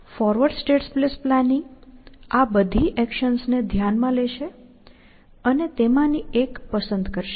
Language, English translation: Gujarati, Forward state space planning would consider all those hundreds actions, and choose one of them, essentially